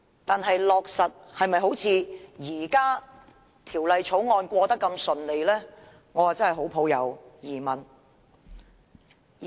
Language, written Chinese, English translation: Cantonese, 但是，在落實時是否好像通過《條例草案》來得那麼順利，我真的抱有很大疑問。, But I am sceptical that the arrangement can be smoothly implemented like the way the Bill is passed